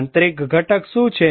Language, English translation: Gujarati, What is the internal component